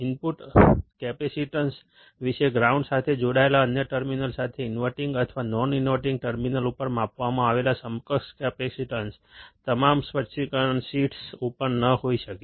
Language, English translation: Gujarati, About the input capacitance, the equivalent capacitance measured at either the inverting or non interval terminal with the other terminal connected to ground, may not be on all specification sheets